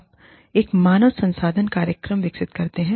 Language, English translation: Hindi, You develop, a human resources program